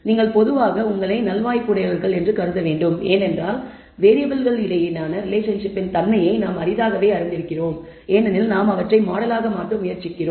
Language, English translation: Tamil, You should consider yourself fortunate typically because we rarely know the nature of the relationship between variables we are only trying to model them